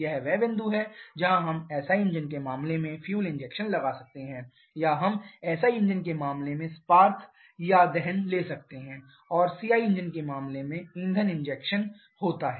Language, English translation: Hindi, This is the point where we can have fuel injection in case of a SI engine or we can have spark or combustion initiation in case of a SI engine, fuel injection in case of SI engine